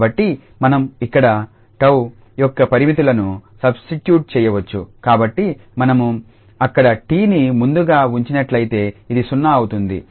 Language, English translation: Telugu, So, then we can substitute the limits of this tau here so if we put first the t there this will be 0